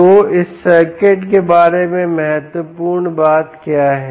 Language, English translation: Hindi, so what is the important thing about this circuit, this c out